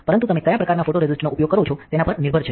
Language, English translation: Gujarati, But depends on what kind of photoresist you use